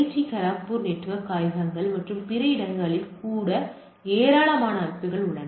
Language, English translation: Tamil, Even in our IIT Kharagpur network labs and other places where number of systems there